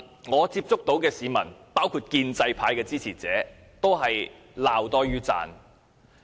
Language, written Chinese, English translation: Cantonese, 我接觸到的市民，包括建制派的支持者，對它均是罵多於讚。, The people that I have met including supporters of the pro - establishment camp are more critical than appreciative of it